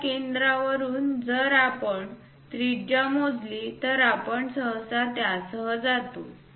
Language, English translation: Marathi, From that center if we are measuring the radius we usually go with that